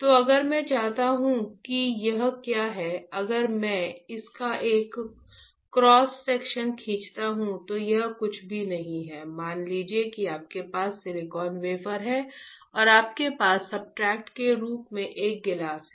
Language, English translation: Hindi, So, if I want what is this, if I draw a cross section of this, this is nothing, but you have this silicon wafer and on silicon wafer, let us say you have silicon wafer and you have a glass as a substrate alright